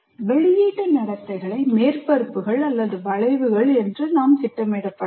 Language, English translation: Tamil, So the output behavior can be plotted as surfaces or curves and so on